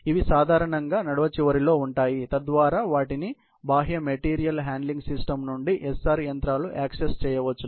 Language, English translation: Telugu, These are generally located at the end of the aisle so that, they can be accessed by the SR machines from the external material handling system